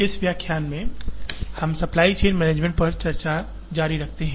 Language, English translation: Hindi, In this lecture, we continue the discussion on supply chain management